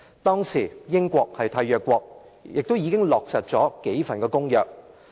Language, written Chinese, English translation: Cantonese, 當時英國是締約國，亦已落實數項公約。, At that time the United Kingdom was a State party and several treaties had been implemented